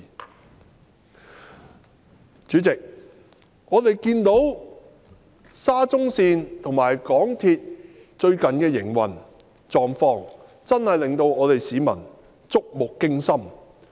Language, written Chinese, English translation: Cantonese, 代理主席，我們看到沙中線和港鐵最近的運作狀況，真的令市民觸目驚心。, Deputy President as we noticed the recent situation of the Shatin to Central Link SCL and the operation of MTR are really terrifying to the public